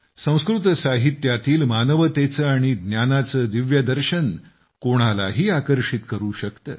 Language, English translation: Marathi, Sanskrit literature comprises the divine philosophy of humanity and knowledge which can captivate anyone's attention